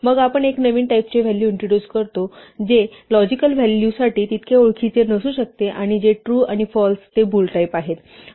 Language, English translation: Marathi, Then we introduce a new type of value, which may not be so familiar for logical values true and false which are of type bool